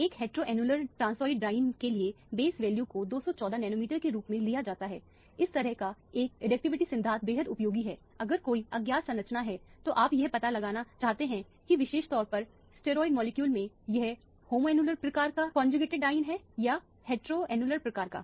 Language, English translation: Hindi, For a heteroannular transoid diene, the base value is taken as 214 nanometer, this kind of a additivity principle is extremely useful, if there is an unknown structure and you want to find out whether it is a conjugated diene of the homoannular type or the heteroannular type particularly in the steroid molecule